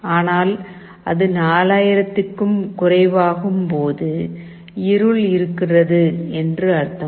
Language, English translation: Tamil, But when it falls less than 4000, it means that there is darkness